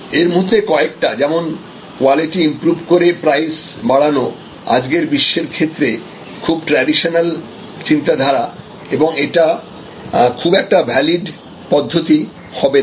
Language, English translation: Bengali, Some of these like increase price and improve quality, these are very traditional thinking in today's world, they may not be very valid